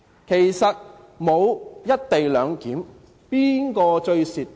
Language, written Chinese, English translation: Cantonese, 如果沒有"一地兩檢"，誰最吃虧？, Who will suffer the most if there is no co - location arrangement?